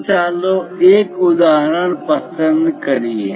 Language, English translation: Gujarati, So, let us pick an example